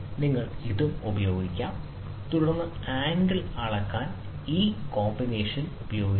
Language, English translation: Malayalam, So, you can use this also, and then use this combination to measure the angle measurement